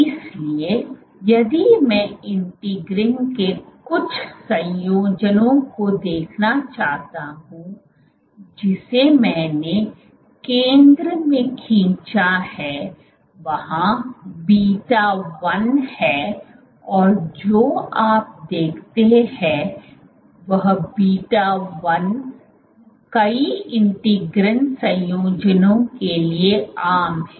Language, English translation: Hindi, So, if I want to look at some of the combinations of integrins, so here I have drawn in the center is beta 1 and what you see is beta 1 is common to many of the integrin combinations